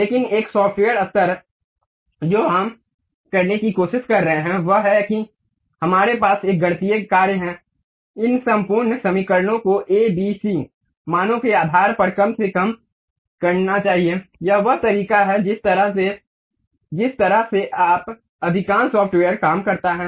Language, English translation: Hindi, But a software level, what we are trying to do is we straight away have a mathematical functions, minimize these entire equations based on what should be the a, b, c values, that is the way most of the software works